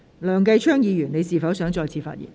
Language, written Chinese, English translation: Cantonese, 梁繼昌議員，你是否想再次發言？, Mr Kenneth LEUNG do you wish to speak again?